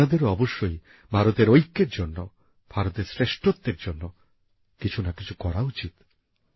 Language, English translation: Bengali, You too must do something for the unity of India, for the greatness of India